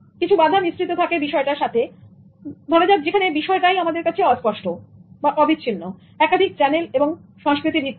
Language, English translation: Bengali, Some of the challenges are associated with its nature that it is ambiguous, it is continuous, it is multi channeled and it is culture based